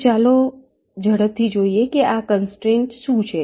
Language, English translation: Gujarati, so let us quickly see what are these constraints